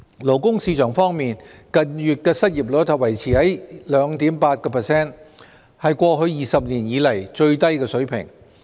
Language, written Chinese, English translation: Cantonese, 勞工市場方面，近月的失業率維持在 2.8%， 是過去20年以來的最低水平。, In the labour market the unemployment rate in recent months stood at 2.8 % the lowest level in the past 20 years